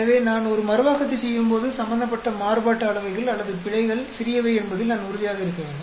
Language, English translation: Tamil, So, when I am doing a replication, I should be very sure that the variances or errors involved are small